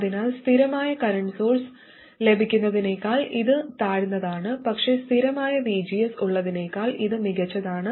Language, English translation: Malayalam, So this is inferior to having a constant current source but it is superior to having a constant VGS